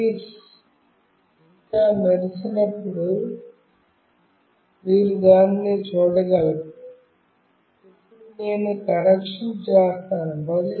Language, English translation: Telugu, Itis still blinking you can see that, and now I will do the connection